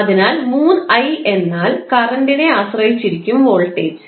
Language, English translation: Malayalam, So, 3i means voltage is depending upon the current